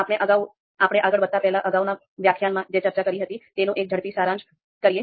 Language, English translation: Gujarati, So before we move ahead, let’s do a quick recap of what we discussed in the previous lecture